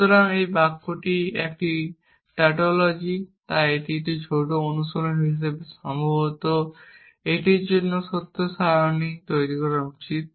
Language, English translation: Bengali, So, this sentence is a tautology, so as a small exercise, maybe you should just construct the truth table for this and see that this is tautology